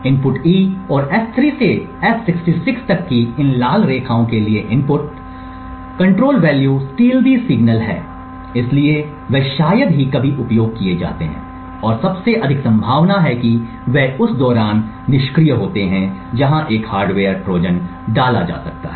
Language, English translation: Hindi, So what this indicates is that the inputs E and the inputs S3 to S66 corresponding to these red lines over here are stealthy signals, so they are rarely used and most likely they are inactive during the general operation of this particular multiplexer and therefore they could be potential venues where a hardware Trojan may be inserted